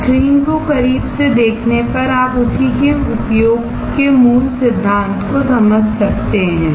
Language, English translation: Hindi, On a closer look to the screen, you can understand the basic principle of using the same